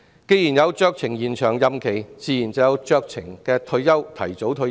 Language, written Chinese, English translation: Cantonese, 既然有酌情延長任期的安排，自然也可以酌情提早退休。, When there is discretionary extension there is also discretionary early retirement